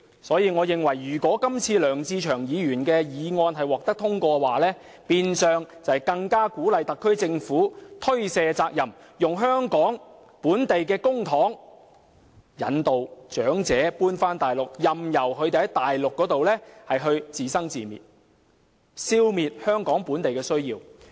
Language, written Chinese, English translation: Cantonese, 所以，我認為如果今次梁志祥議員的議案獲得通過，將變相鼓勵特區政府推卸責任，用香港的公帑誘使長者遷往大陸，任由他們在大陸自生自滅，消滅香港本地的安老需要。, Hence if Mr LEUNG Che - cheungs motion gets carried today it will in a way encourage the SAR Government to shift its responsibility elsewhere . By luring the elderly with Hong Kong public money to relocate to the Mainland where they are left all alone and unaided the SAR Government is suppressing the demand for local elderly care services